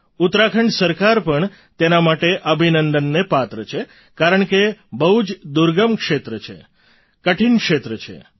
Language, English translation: Gujarati, The government of Uttarakhand also rightfully deserves accolades since it's a remote area with difficult terrain